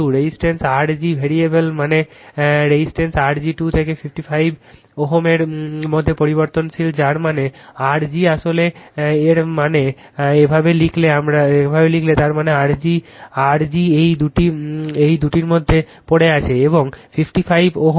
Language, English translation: Bengali, The resistance R g is variable that means, this resistance R g is variable between 2 and 55 ohm that means R g actually that means, if you write like this that means that means, your R g is lying in between these two, and 55 ohm right